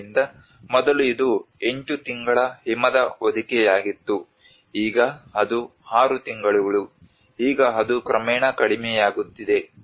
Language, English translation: Kannada, So earlier it was 8 months snow cover, now it is six months, now it is gradually reducing